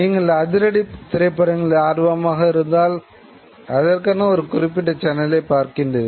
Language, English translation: Tamil, You want to watch a particular genre if you are interested in action movies you switch on a particular channel